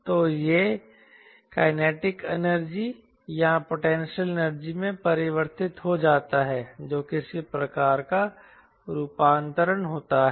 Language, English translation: Hindi, so it gets converted into kinetic energy or a potential energy